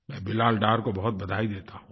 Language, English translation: Hindi, I congratulate Bilal Dar